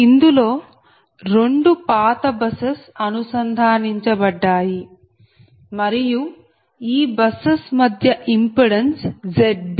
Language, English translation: Telugu, so two old buses are connected through bus impedance z b